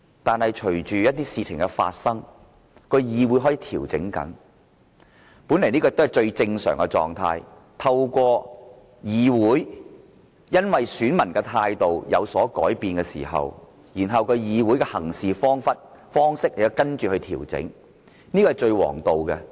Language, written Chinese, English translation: Cantonese, 但是，隨着一些事情的發生，議會開始調整，本來這是最正常的，因為當選民的態度有所改變，議會的行事方式亦會跟着調整，這是最王道。, But this Council began to adjust its proceedings after some incident took place . This is just normal . When the attitude of the voters changes the way this Council conducts its businesses changes